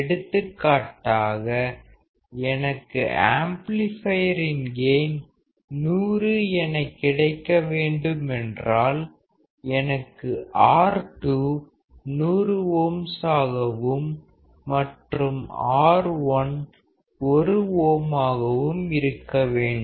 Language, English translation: Tamil, For example, if I want to have a gain of 100 for the amplifier; then I need to have R2 as 100ohms, and R1 should be 1ohm